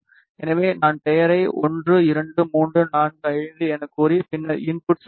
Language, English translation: Tamil, So, I will just maybe the name as 1 2 3 4 5 and then enter